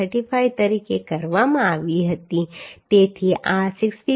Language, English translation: Gujarati, 35 so this is becoming 65